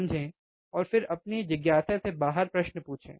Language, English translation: Hindi, Understand and then out of your curiosity ask questions